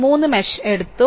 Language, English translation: Malayalam, We have taken 3 mesh